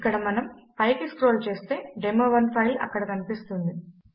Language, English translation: Telugu, Here again we would scroll up and as you can see the demo1 file is there